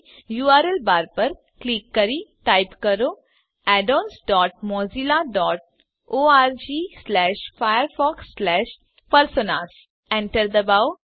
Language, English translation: Gujarati, Click on the URL bar and type addons dot mozilla dot org slash firefox slash personas Press Enter